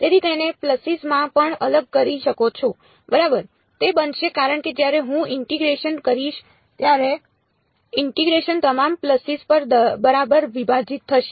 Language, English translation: Gujarati, So, may as well discretise that also into pulses ok, it will become because when I do the integration the integration will split over all the pulses right